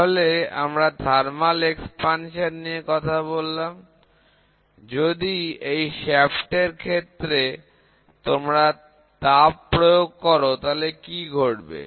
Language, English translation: Bengali, So, we talk about thermal expansion suppose, in this shaft, if you start applying heat